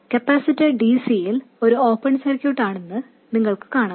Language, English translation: Malayalam, You see that a capacitor is an open circuit for DC